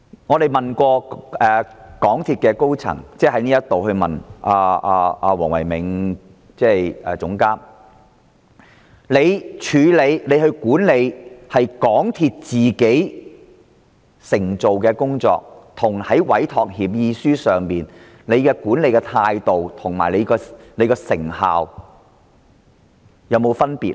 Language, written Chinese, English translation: Cantonese, 我們也曾在立法會詢問港鐵公司的工程總監黃唯銘，港鐵公司在執行本身的工作與執行委託協議書的工作時，在管理態度及成效上是否有分別呢？, Besides we had put to Philco WONG the Projects Director of MTRCL a question at the Council meeting Was there any difference between MTRCLs own projects and the projects under entrustment agreements with the Government in management attitude and effectiveness?